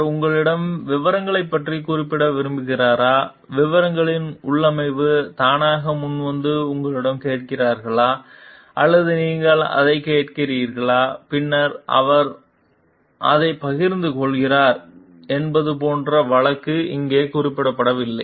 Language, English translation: Tamil, The case does not mention over here, like whether he like mentioned about the details to you, the configuration in details to you voluntarily or you ask for it and then he share it